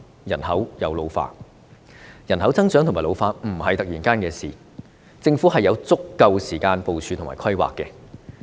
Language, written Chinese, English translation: Cantonese, 人口增長和老化不是突然發生的事情，政府是有足夠時間部署和規劃的。, Population growth and ageing population will not occur overnight and the Government should have enough time for preparation and planning